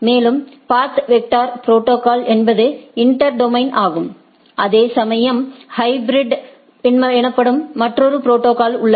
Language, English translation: Tamil, And, path vector protocol is the inter domain whereas, there is another protocol called hybrid